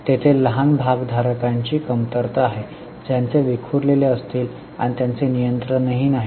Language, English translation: Marathi, There are lacks of small shareholders who will be scattered and who do not have any control